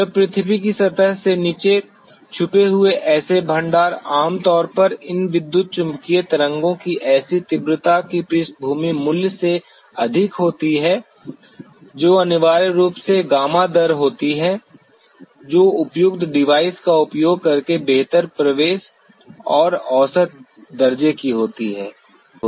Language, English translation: Hindi, Such deposits when concealed below the surface of the earth generally give a higher than background value of such intensity of these electromagnetic waves which is essentially the gamma rate which have a better penetration and measurable by using appropriate device